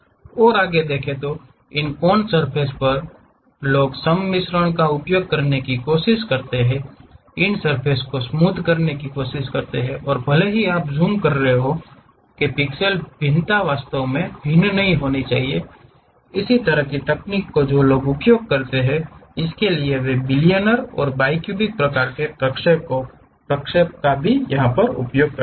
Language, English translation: Hindi, And further on these Coons surfaces, people try to use a blending, try to smoothen these surfaces and even if you are zooming that pixel variation should not really vary, that kind of techniques what people use, for that they use bilinear and bi cubic kind of interpolations also